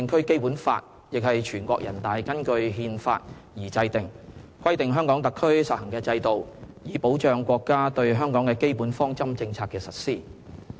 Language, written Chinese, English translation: Cantonese, 《基本法》亦是全國人大根據《憲法》而制定的，規定香港特區實行的制度，以保障國家對香港的基本方針政策的實施。, The Basic Law likewise is enacted by NPC in accordance with the Constitution which prescribed the systems to be practised in the HKSAR in order to ensure the implementation of the basic policies of our country regarding Hong Kong